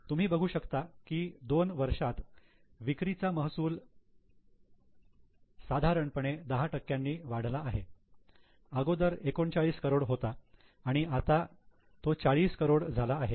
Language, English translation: Marathi, You can see in two years there is about 10% increase in their sales revenue from operations from 39 crore to 43 crore